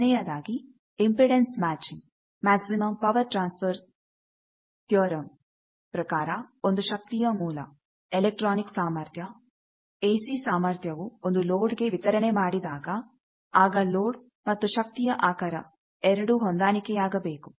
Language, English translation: Kannada, So, the first thing is you see impedance matching, actually from maximum power transfer theorem that if there is a source of energy, source of power electronic power, AC power that you want to deliver to a load then load and source should be matched there should be a conjugate relationship between them